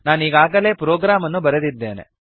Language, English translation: Kannada, I have already written the program